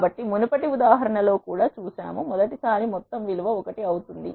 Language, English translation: Telugu, So, we have seen in the previous example also for the first time the value of the sum becomes 1